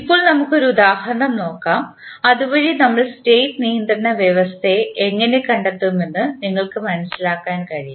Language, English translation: Malayalam, Now, let us take one example so that you can understand how we find the State controllability condition